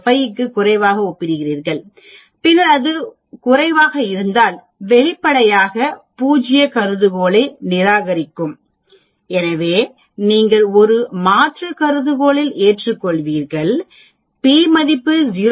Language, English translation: Tamil, 05, then if it is less then obviously will reject the null hypothesis so you will accept in a alternative hypothesis, p value is not less than 0